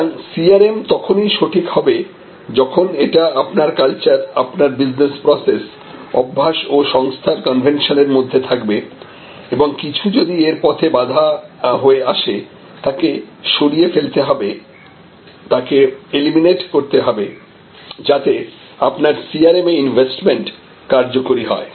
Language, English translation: Bengali, Therefore, to be proper if there is anything; that is in your culture in your business process in the habits and the conventions of your organization, that come in the way that has to be removed that has to be eliminated, so that your investment in CRM is useful